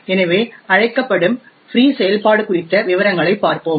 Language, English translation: Tamil, So let us look at details about the free function called